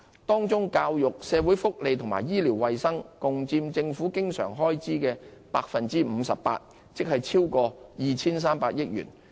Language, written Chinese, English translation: Cantonese, 當中教育、社會福利和醫療衞生共佔政府經常開支約 58%， 即超過 2,300 億元。, Among the various areas of expenditure the recurrent expenditure on education social welfare and health care accounts for about 58 % of government recurrent expenditure exceeding 230 billion in total